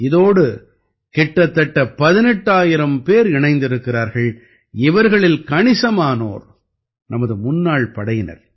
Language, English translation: Tamil, About 18,000 people are associated with it, in which a large number of our ExServicemen are also there